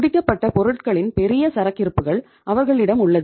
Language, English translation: Tamil, They have huge inventory of the finished goods